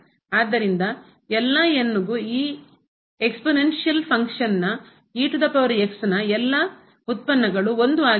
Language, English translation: Kannada, So, for all values of all the derivatives of this function exponential function is 1